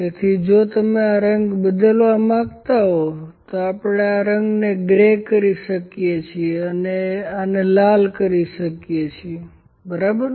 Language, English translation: Gujarati, So, if you like to change this colour we can change this colour to the gray only, ok, and this can be coloured maybe red, ok